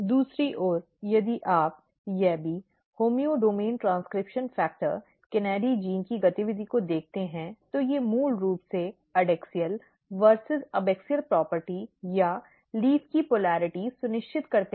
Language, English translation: Hindi, On the other hand if you look the activity of YABBY, homeodomain transcription factor KANADI genes, they basically ensures the adaxial versus abaxial property or polarity of the leaf